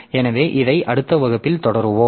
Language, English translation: Tamil, So, we'll continue with this in the next class